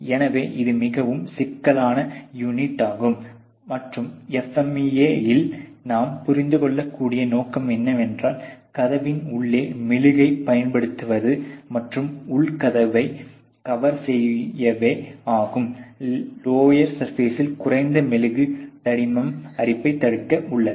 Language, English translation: Tamil, So, it is a very, very complex unit and; obviously, the purpose as you can understand here in the FMEA is the application of wax inside the door and to cover the inner door lower surfaces at minimum wax thickness to retire the coregent